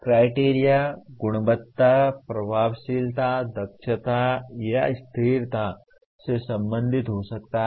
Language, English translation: Hindi, Criteria can be related to quality, effectiveness, efficiency, or and consistency